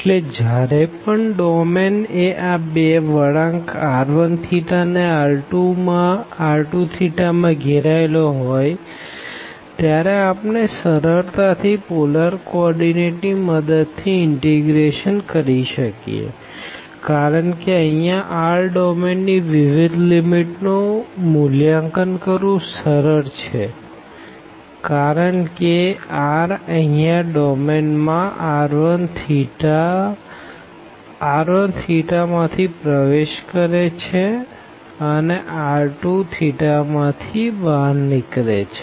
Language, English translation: Gujarati, So, in that situation, whenever domain is bounded by these two curves here r 1 theta and r 2 theta, then we can actually do the integration easily with the help of the polar coordinates, because the limits for this domain here r easy to evaluate because in the direction of r here entering the domain from this r 1 theta and it existing this domain from r 2 theta